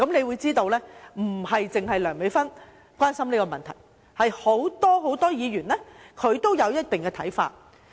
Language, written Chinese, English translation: Cantonese, 由此可見，不止梁美芬議員關心這個問題，很多議員都有一定的看法。, We can thus see that not only Priscilla LEUNG is concerned about this issue many Members also have their point of view